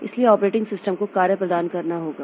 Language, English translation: Hindi, So operating system must functions